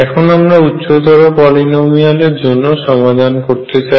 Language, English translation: Bengali, So, you wanted to be a finite polynomial